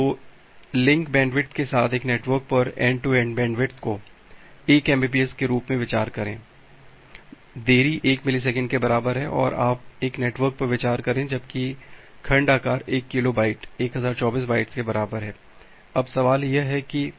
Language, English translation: Hindi, So, consider a network with link bandwidth end to end link bandwidth as 1 Mbps, the delay equal to 1 millisecond and you consider a network where as segment size is 1 kilo byte equal to 1024 bytes